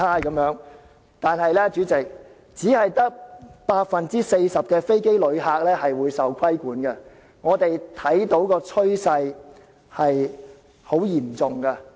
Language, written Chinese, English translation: Cantonese, 可是，主席，其實當中只有 40% 的飛機旅客將會受到規管，我們看到的趨勢很嚴重。, But President under the Scheme only 40 % of air passengers will actually be regulated . The trend we see is very serious